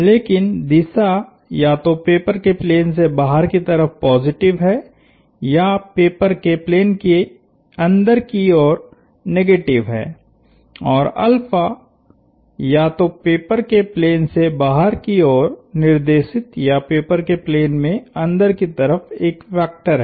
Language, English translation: Hindi, But, the direction is either positive out of the plane of the paper or negative down into the plane of the paper and alpha is well, is either a vector pointing out of the plane of the paper or into the plane of the paper